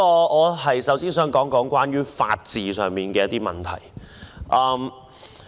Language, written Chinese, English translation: Cantonese, 我首先想說說法治上的問題。, Let me first of all talk about the question of the rule of law